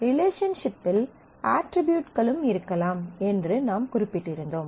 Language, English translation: Tamil, As we had mentioned that relationships could also have attributes